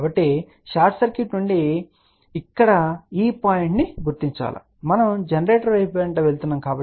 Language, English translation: Telugu, So, from the short circuit which is this point here we are moving towards generator